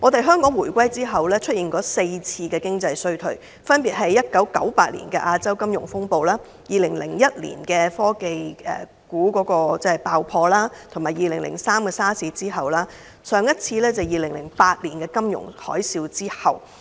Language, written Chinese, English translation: Cantonese, 香港回歸後，曾經經歷4次經濟衰退，分別是1998年亞洲金融風暴、2001年科網股爆破、2003年 SARS 時期，以及2008年金融海嘯。, After the reunification Hong Kong has gone through four economic recessions including the Asian financial crisis in 1998 the burst of the dotcom bubble in 2001 the SARS outbreak in 2003 and the financial tsunami in 2008